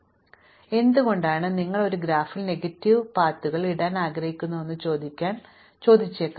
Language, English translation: Malayalam, So, now of course you might want to ask why you want to put a negative ways in a graph at all